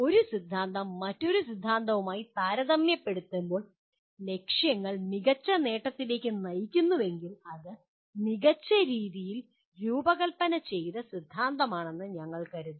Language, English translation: Malayalam, That if one theory leads to better achievement of goals when compared to another theory, then we consider it is a better designed theory